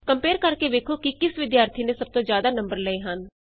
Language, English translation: Punjabi, Compare the marks to see which student has scored the highest